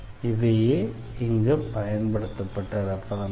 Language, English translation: Tamil, These are the references used here